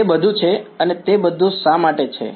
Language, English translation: Gujarati, That is all, and why is it all